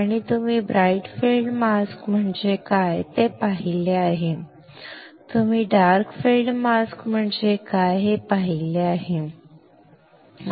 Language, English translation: Marathi, And you have seen what is bright field mask you have seen what is dark field mask, correct